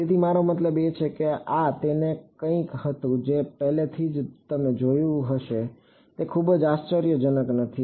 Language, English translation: Gujarati, So, I mean this was something that you have already seen before not very surprising ok